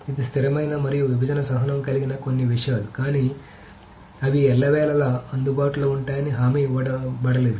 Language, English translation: Telugu, So these are certain things which are consistent and partition tolerance, but they are not guaranteed to be available all the time